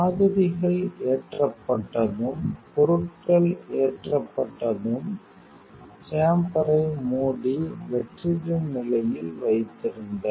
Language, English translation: Tamil, Once samples loaded and it is materials loaded close the chamber and keep as in a vacuum condition